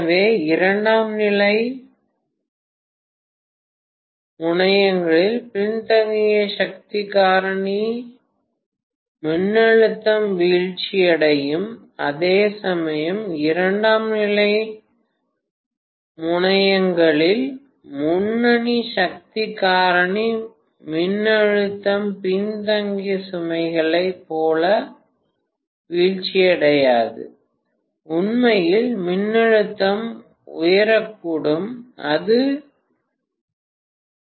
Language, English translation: Tamil, So for lagging power factor voltage at the secondary terminals will fall, whereas for leading power factor voltage at the secondary terminals will not fall as much as for lagging loads, in fact, the voltage can rise, it may not even fall it can rise